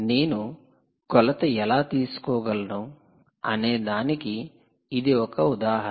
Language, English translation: Telugu, so this is one example of how you can make a measurement